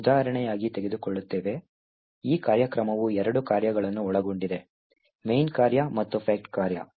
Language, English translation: Kannada, So we will take as an example, this particular program, which comprises of two functions, a main function and fact function